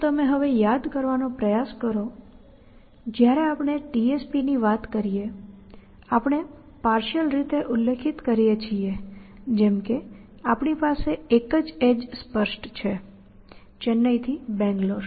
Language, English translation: Gujarati, So, if you now try to remember, when we are talking of TSP and we say that we partially specify we say that we have only one edge specified which will go from Chennai to Bangalore